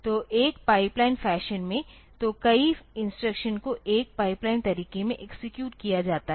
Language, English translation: Hindi, So, in a pipeline fashion, so, number of the instructions is executed in a pipelined way